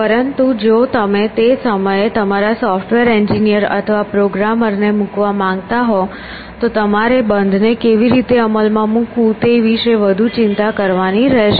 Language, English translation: Gujarati, But if you want to put on your software engineer or programmer had then, you have to be more concern about how to implement closed